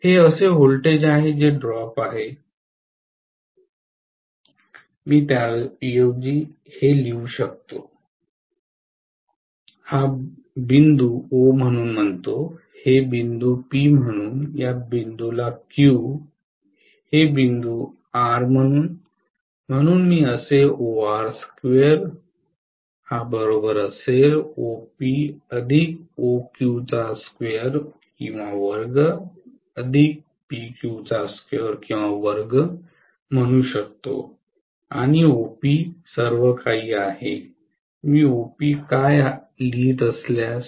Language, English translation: Marathi, So this is what is the voltage is drop, I can write rather this as the summation of let me call this point as O, this point as P, this point as Q, this point as R, so I can say that OR square will be equal to OP plus OQ the whole square plus PQ square, right